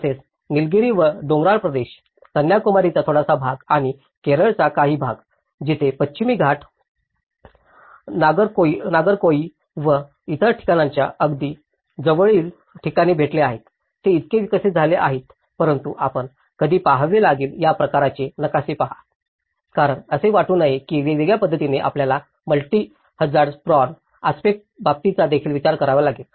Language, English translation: Marathi, Also, the hilly areas about the Nilgiris and a little bit of the Kanyakumari and the part of Kerala, where the Western Ghats are also meeting at some point near Nagercoil and other places so, these are developed so but one has to look at when you see these kind of maps, they should not look that in an isolated manner, you have to also consider the multi hazard prone aspect